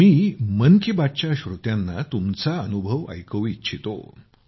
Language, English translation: Marathi, I would like to share your experience with the listeners of 'Mann Ki Baat'